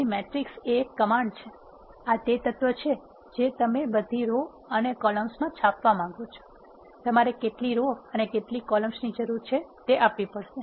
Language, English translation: Gujarati, So, the command is matrix this is the element you want to print in all the rows and columns you have to specify how many rows and how many columns